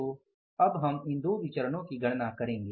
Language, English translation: Hindi, So, first we will calculate these two variances